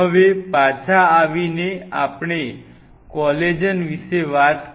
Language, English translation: Gujarati, Now, coming back so, we talked about the collagen